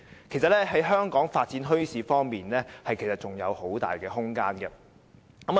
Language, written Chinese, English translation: Cantonese, 其實，香港在發展墟市方面仍然是有很大空間的。, In fact there is still much room for developing bazaars in Hong Kong